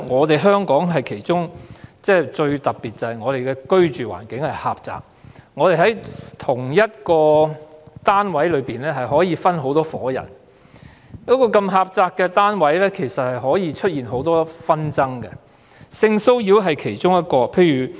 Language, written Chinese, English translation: Cantonese, 大家也知道，香港最特別之處是居住環境狹窄，在同一單位內可能分別有多伙人居住，所以容易出現很多紛爭，性騷擾是其中一項。, As Members may know a very special feature of Hong Kong is its confined living environment . Since many households may live in the same residential unit disputes such as sexual harassment may easily occur